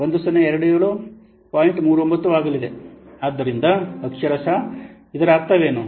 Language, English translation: Kannada, So, literary what is meaning